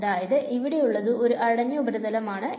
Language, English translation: Malayalam, Now it is a closed surface